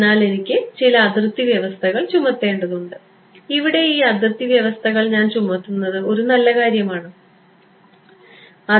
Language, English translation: Malayalam, So, I need to impose some boundary conditions and I impose this boundary conditions is that a good thing